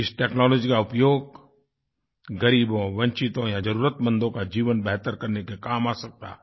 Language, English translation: Hindi, This technology can be harnessed to better the lives of the underprivileged, the marginalized and the needy